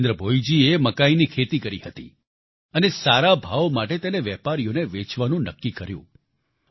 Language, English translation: Gujarati, Jitendra Bhoiji had sown corn and decided to sell his produce to traders for a right price